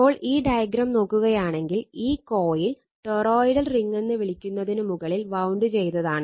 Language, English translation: Malayalam, Now, if you look into this if you look into this diagram, this is the coil wound on this you are what you call on this toroidal ring